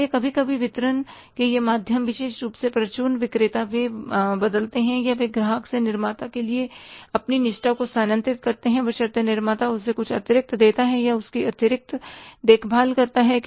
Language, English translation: Hindi, So, sometimes these channels of distribution, especially the retailers, they change or they shift their loyalties from the customer to the manufacturer provided the manufacturer gives him something extra or takes extra care of him